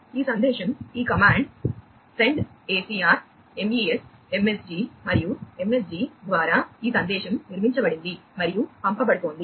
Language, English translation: Telugu, this message is sent through this command send acr mes msg, and msg is this message that is built and is being sent